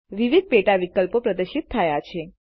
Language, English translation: Gujarati, Various sub options are displayed